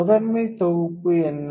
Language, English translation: Tamil, So, what is the primary set